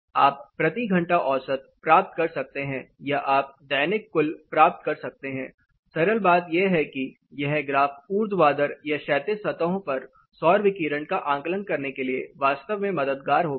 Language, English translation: Hindi, (Refer Slide Time: 14:30) You can get hourly average or you can get daily total, the simple thing this graphs will be really helpful for assessing the solar radiation on vertical or horizontal surfaces